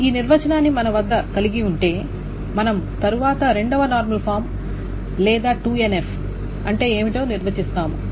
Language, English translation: Telugu, So having this definitions handy with us, we will next define what is called a second normal form or 2NF